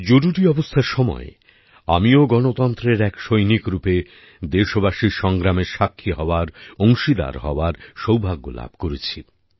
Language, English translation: Bengali, During the Emergency, I had the good fortune to have been a witness; to be a partner in the struggle of the countrymen as a soldier of democracy